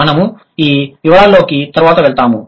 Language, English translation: Telugu, We will go to these details a little later